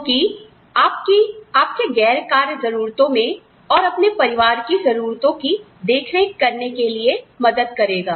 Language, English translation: Hindi, So, that helps you, look after your other nonwork needs, and the needs of your family